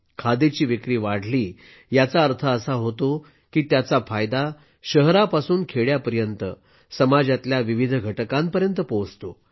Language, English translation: Marathi, The rise in the sale of Khadi means its benefit reaches myriad sections across cities and villages